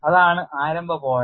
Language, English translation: Malayalam, That is a starting point